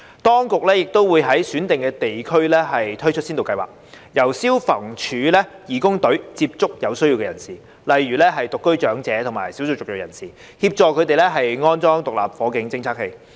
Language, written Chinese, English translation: Cantonese, 當局亦會在選定地區推出先導計劃，由消防處義工隊接觸有需要人士，例如獨居長者及少數旅裔人士，協助他們安裝獨立火警偵測器。, A pilot scheme would also be launched in selected districts for FSD volunteer teams to reach out to the needy such as the elderly living alone and ethnic minorities to assist them in installing SFDs